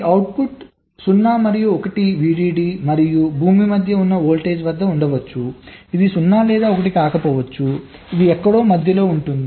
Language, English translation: Telugu, so this output may be at a voltage which is between zero and one vdd and ground, which may be neither zero nor one, it is somewhere in between